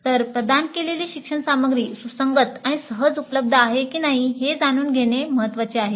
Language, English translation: Marathi, So, it is important to know whether the learning material provided was relevant and easily accessible